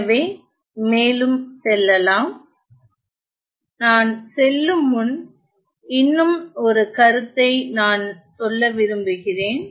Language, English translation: Tamil, So, moving on so, before I move on there is just one more one more comment that I want to pass on